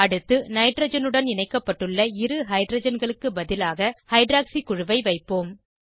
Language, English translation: Tamil, Next, we will substitute two hydrogens attached to nitrogen with hydroxy group